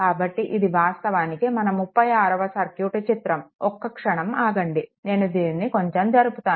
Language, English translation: Telugu, This is actually figure 36 just hold on, let me move it off little bit